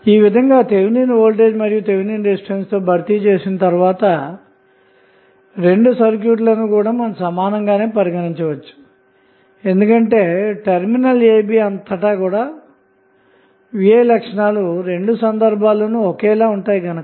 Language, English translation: Telugu, So, voltage would be can set as a Thevenin voltage and resistance would be consider as Thevenin resistance and we will see that the V I characteristic across terminal a and b will be same in both of the cases